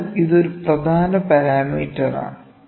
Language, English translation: Malayalam, So, this is an important parameter